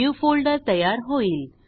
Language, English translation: Marathi, * A New Folder is created